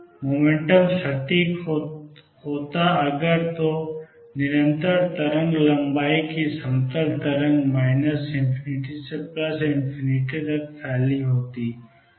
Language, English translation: Hindi, So, the plane wave of constant wave length spreading from minus infinity to plus infinity